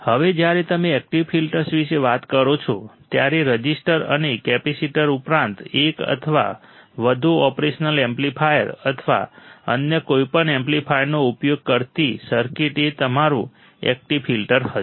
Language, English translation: Gujarati, Now, when you talk about active filters, the circuit that employ one or more operational amplifiers or any other amplifier, in addition to the resistor and capacitors then that will be your active filter